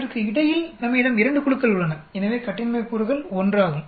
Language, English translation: Tamil, Between group we have 2 groups, so the degrees of freedom is 1